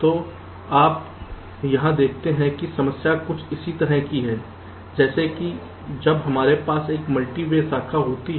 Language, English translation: Hindi, so you see, here also the problem is some what similar, like when we have a multi way branch